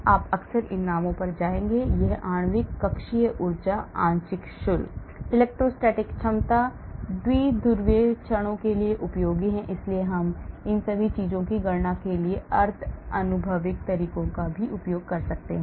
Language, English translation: Hindi, This is useful for molecular orbital energy, partial charges, electrostatic potentials, dipole moments, so we can use even semi empirical methods to calculate all these things,